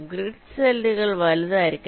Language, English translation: Malayalam, the grid cells should be large enough